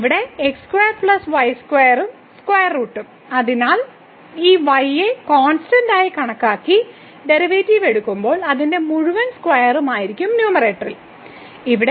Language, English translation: Malayalam, So, here square plus square and the square root; so this will be its whole square and then, in the numerator when we take the derivative treating this y as constant